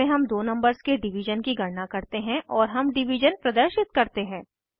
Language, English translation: Hindi, In this we calculate the division of two numbers and we display the division